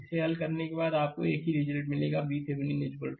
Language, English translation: Hindi, After solving this, you will get same result, V Thevenin is equal to 15 volt right